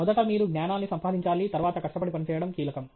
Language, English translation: Telugu, First you have to acquire knowledge then hard work is the key okay